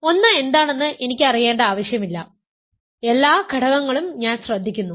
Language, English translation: Malayalam, I do not need to know what one is, I am just listening all the elements they are all same to me